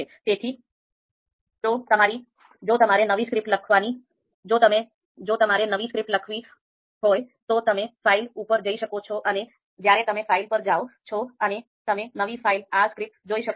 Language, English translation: Gujarati, So typically if you want to write a new, if you want to you know write a new script then you can go to file and when you go to file you can see new file R script